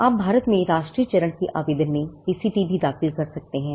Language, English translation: Hindi, You can also file a PCT in national phase application in India